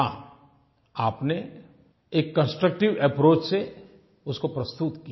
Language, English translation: Hindi, You have presented that with a constructive approach